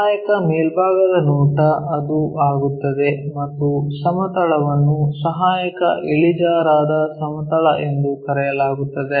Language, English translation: Kannada, Auxiliary top view it becomes and the plane is called auxiliary inclined plane